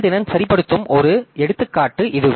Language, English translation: Tamil, Then this is an example of performance tuning